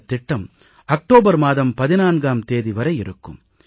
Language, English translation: Tamil, And this scheme is valid till the 14th of October